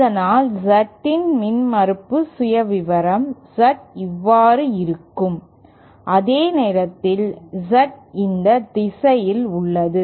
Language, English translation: Tamil, And thus we will have impedance profile Z of Z whereas Z is in this direction